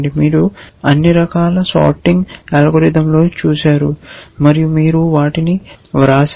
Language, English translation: Telugu, You have looked at all kinds of sorting algorithms and you wrote them